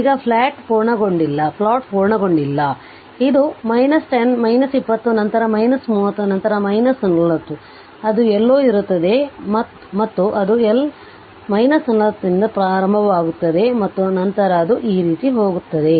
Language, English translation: Kannada, Now plot is not completed this is your minus 10, minus 20, then minus 30 then it will be somewhere minus 40 right and it will start from minus 40 somewhere and then it will it it will go like this right